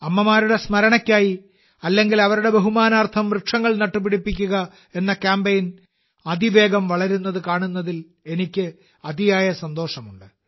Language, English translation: Malayalam, And I am immensely happy to see that the campaign to plant trees in memory of the mother or in her honor is progressing rapidly